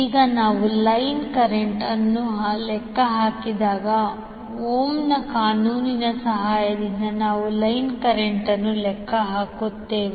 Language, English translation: Kannada, Now when we calculate the line current, we calculate the line current with the help of Ohm's law